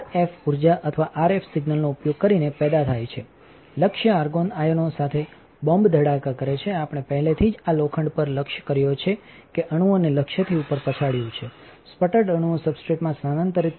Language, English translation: Gujarati, So, this is how the sputter system looks like and the plasma is generated by applying RF energy or RF signal, target is bombarded with argon ions, we already discussed this iron knocks the atoms up from the target, sputtered atoms are transported to the substrate wide variety of materials can be deposited